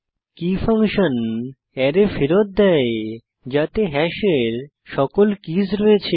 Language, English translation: Bengali, keys function on hash, returns an array which contains all keys of hash